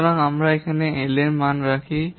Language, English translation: Bengali, We will put the value of L